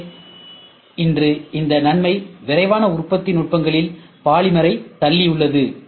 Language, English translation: Tamil, So, today this advantage has also pushed polymer in rapid manufacturing techniques